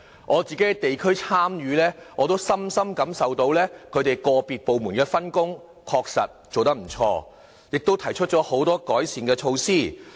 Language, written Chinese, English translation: Cantonese, 我參與地區事務時亦能深深感受到個別部門的分工確實做得不錯，亦提出很多改善措施。, Their efforts are beyond doubt . During the district work I am able to witness the effective division of work among departments in putting forward a number of remedial measures